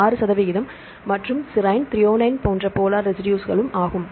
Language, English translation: Tamil, 6 percent as well as the polar residues that are serine, threonine